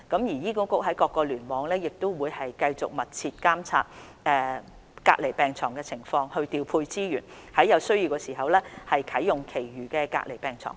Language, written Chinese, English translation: Cantonese, 醫管局各聯網會繼續密切監察隔離病床的情況，調配資源，在有需要時啟用其餘隔離病床。, Each HA cluster will continue to closely monitor the situation and allocate resources to mobilize the other isolation beds when required